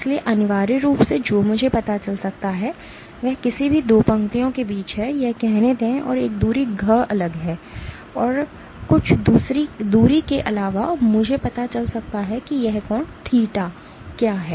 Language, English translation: Hindi, So, essentially what I can find out is between any 2 lines let say this and a distance d apart and some distance apart I can find out what is this angle theta